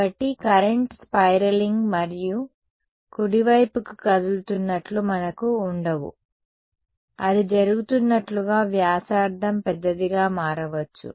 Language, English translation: Telugu, So, we are not going to have things like a current that is spiraling and moving up right, that may happen as the radius becomes bigger then as happening